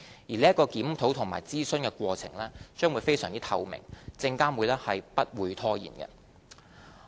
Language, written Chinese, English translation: Cantonese, 而這個檢討及諮詢的過程均會非常透明，證監會不會拖延。, The review and consultation work will be conducted in high transparency . There is no question of procrastination by SFC